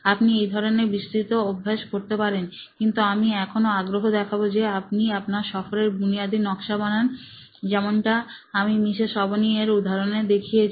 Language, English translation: Bengali, You can do such a detailing exercise but I would still insist on having the basic journey map like we saw in Mrs Avni’s case, okay